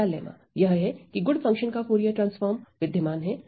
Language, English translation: Hindi, There is first lemma Fourier transform of good functions exists